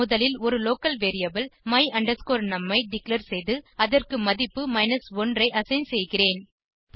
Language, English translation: Tamil, First I declare a local variable my num and assign the value of 1 to it